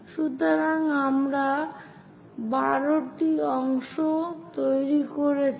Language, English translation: Bengali, So, we make 12 parts